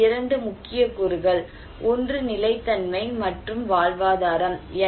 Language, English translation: Tamil, And two major components here, one is the sustainability, and livelihood